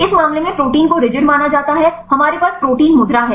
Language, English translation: Hindi, In this case protein is treated as rigid right we have the pose protein pose right